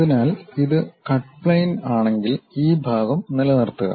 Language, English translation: Malayalam, So, if this is the cut plane thing, retain this part